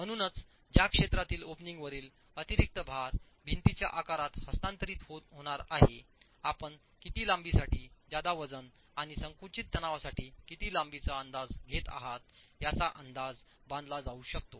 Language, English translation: Marathi, So this region over which the additional load above the opening is going to get transferred to the sides of the wall, an estimate of how over what length are you going to get additional load and compressive stresses thereof can be estimated